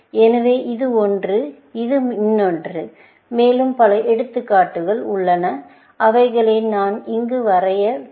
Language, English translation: Tamil, So, this is one, and this is another one, and there are more examples, which I am not drawing here